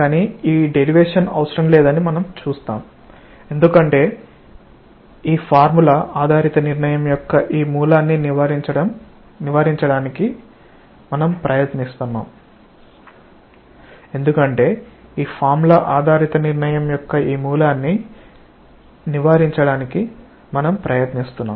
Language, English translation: Telugu, But we will see that this derivation is not necessary because we will try to avoid this root of this formula based determination of this